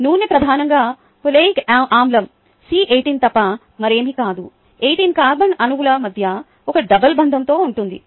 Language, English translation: Telugu, ok, oil is nothing but oleic acid, predominantly c, eighteen eighteen carbon atoms with one double bond in between